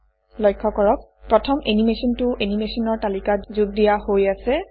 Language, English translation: Assamese, Notice, that the first animation has been added to the list of animation